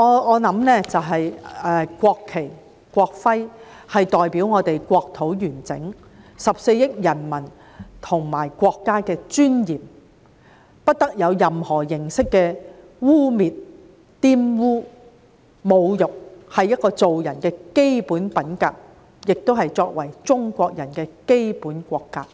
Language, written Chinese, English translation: Cantonese, 我認為國旗、國徽代表了我們國土的完整、14億人民和國家的尊嚴，不得受到任何形式的污衊和侮辱，這是做人的基本品格，也是作為中國人的基本國格。, I believe that the national flag and the national emblem represent the territorial of our country the dignity of our 1.4 billion people and our country and should not be defiled or desecrated in any way . This is the basic character of a human being and the basic national character of a Chinese